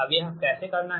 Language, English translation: Hindi, right now, how to do this